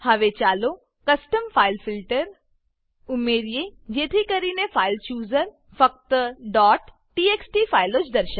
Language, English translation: Gujarati, Now, let us add a custom file filter that makes the File Chooser display only .txt files